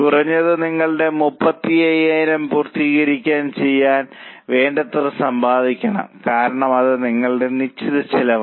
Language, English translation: Malayalam, Minimum you have to earn enough to cover your 35,000 because that is a fixed cost